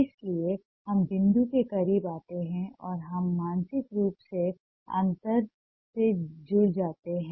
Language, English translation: Hindi, so we come closer to the point and we join the gap mentally